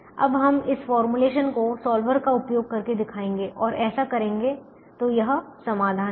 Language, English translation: Hindi, now will show this formulation using the solver and do that